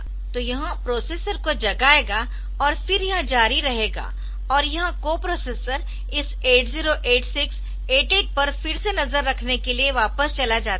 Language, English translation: Hindi, So, it will wake up the processor and this then it will continue and this co processor goes back to monitor this 8086, 88 again